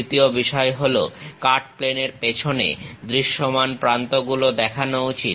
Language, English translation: Bengali, The second point is visible edges behind the cutting plane should be shown